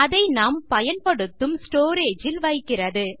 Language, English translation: Tamil, Puts it in the storage which were supposed to use